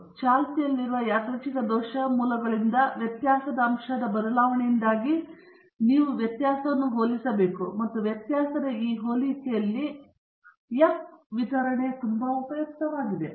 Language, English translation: Kannada, So, you have to compare the variability due to the change in factor with the variability because of the prevailing a random error sources, and for this comparison of variability, the F distribution is very useful